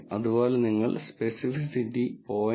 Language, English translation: Malayalam, Similarly, you can verify the specificity to be 0